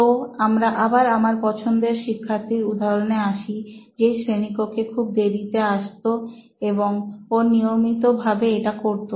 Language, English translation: Bengali, So we go back to this illustration of my favourite student who used to come very late to class and very regularly at that